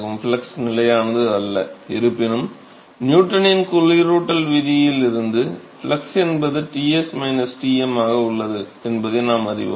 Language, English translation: Tamil, So, now, so, the flux is not constant; however, from Newton’s law of cooling, we know that flux is h into Ts minus Tm so, that by definition right